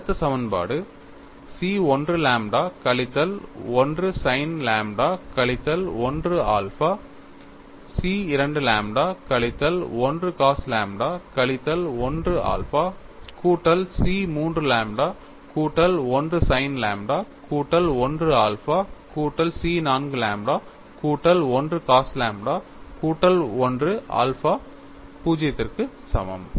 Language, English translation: Tamil, The next equation is C 1 lambda minus 1 sin lambda minus 1 alpha C 2 multiplied by lambda minus 1 cos lambda minus 1 alpha plus C 3 lambda plus 1 sin lambda plus 1 alpha plus C 4 lambda plus 1 into cos lambda plus 1 alpha equal to 0